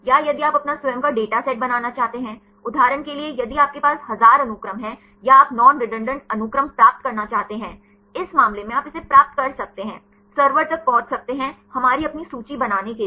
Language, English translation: Hindi, Or if you want to create your own data set; so, for example if you have 1000 sequences or you want to get the non redundant sequences; in this case you can get this, access the server; to create our own list